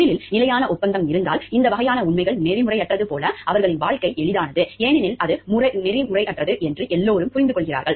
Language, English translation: Tamil, If there is a standard agreement in the profession; like these types of facts are unethical, their life is easy, because everybody understands it to be unethical